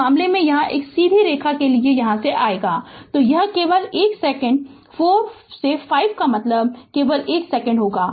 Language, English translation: Hindi, In this case here for this straight line here it will come, so it is it will 1 second only, 4 to 5 means only 1 second